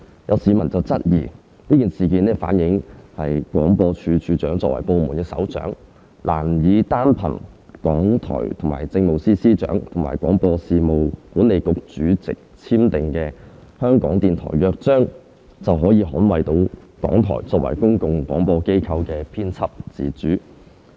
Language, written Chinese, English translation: Cantonese, 有市民質疑，該事件反映廣播處長作為部門首長，難以單憑港台與政務司司長及廣播事務管理局主席簽訂的《香港電台約章》，便可捍衞到港台作為公共廣播機構的編輯自主。, Some members of the public have queried that the incident has reflected that the Director of Broadcasting in his capacity as a department head can hardly safeguard the editorial independence of RTHK as a public service broadcaster simply by virtue of the Charter of Radio Television Hong Kong signed by RTHK with the Chief Secretary for Administration and the Chairman of the Broadcasting Authority